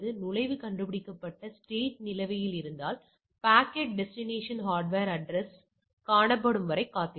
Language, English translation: Tamil, If the entry found and the state is pending packet waits until the destination hardware address is found